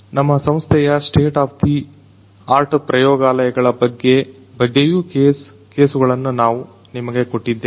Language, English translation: Kannada, We have also given you some of the cases about some state of the art laboratories in our institute